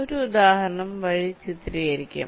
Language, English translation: Malayalam, i shall take an example to illustrate